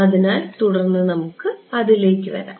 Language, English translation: Malayalam, So, we will come to that in subsequent